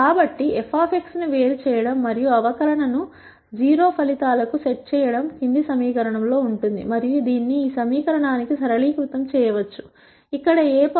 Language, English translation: Telugu, So, differentiating f of x and setting the differential to 0 results in the fol lowing equation, and this can be simplified to this equation, where a transpose a times x is a transpose b